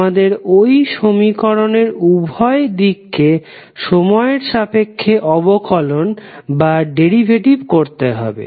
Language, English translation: Bengali, You have to simply take the derivative of both side of the equation with respect of time